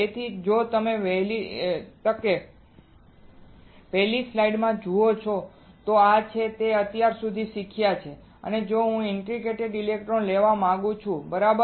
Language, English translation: Gujarati, So, if you see the first slide this is what we have learned until now is that if I want to have a interdigitated electrodes right